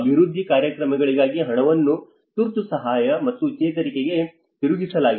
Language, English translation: Kannada, Divert funds for development programmes to emergency assistance and recovery